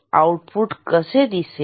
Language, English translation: Marathi, How the output will look like